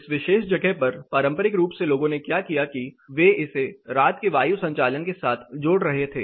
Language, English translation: Hindi, This particular place traditionally what people did they were coupling it with night ventilation